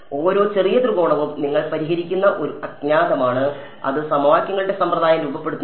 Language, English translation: Malayalam, So, every little little triangle is an unknown that you are solving for and that forms the system of equations